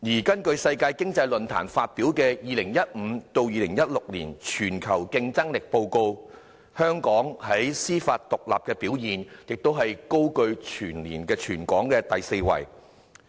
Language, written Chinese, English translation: Cantonese, 根據世界經濟論壇發表的《2015-2016 年全球競爭力報告》，香港在司法獨立的表現亦高居全球第四位。, According to the Global Competitiveness Report 2015 - 2016 released by the World Economic Forum Hong Kong was ranked fourth in the world for its judicial independence